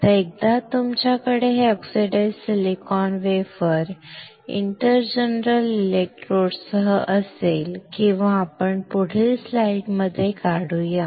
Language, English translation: Marathi, Now, once you have this oxidized silicon wafer with an inter general electrodes or let us just draw in a next slide